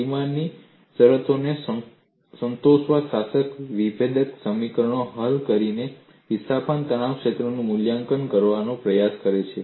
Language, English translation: Gujarati, One attempts to evaluate the displacement or stress field by solving the governing differential equations satisfying the boundary conditions